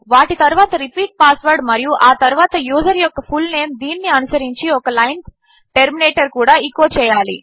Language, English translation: Telugu, Then repeat password and then fullname of the user followed by the line terminator